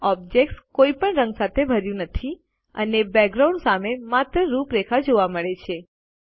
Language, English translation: Gujarati, The object is not filled with any color and only the outline is seen against the background